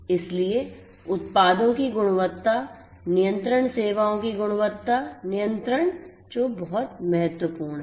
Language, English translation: Hindi, So, quality control of the products quality control of the services is what is very very important